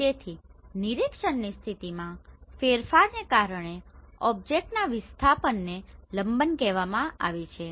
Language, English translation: Gujarati, So the displacement of an object caused by a change in the position of observation is called parallax